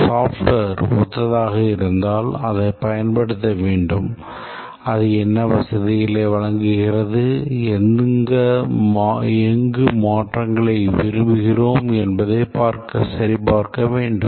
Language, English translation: Tamil, If a software exists which is similar, we need to use it and check what all facilities it provides and where all we want changes